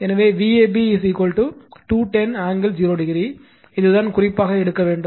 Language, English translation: Tamil, So, V ab is equal to 210 angle 0 degree, this is the reference we have to take